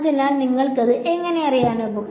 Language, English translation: Malayalam, So, how will you know it